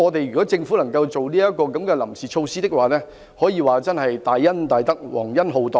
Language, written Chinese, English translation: Cantonese, 如果政府可以推出這項臨時措施，可說是大恩大德、皇恩浩蕩。, If the Government will introduce this temporary measure it will be a great mercy and blessing to them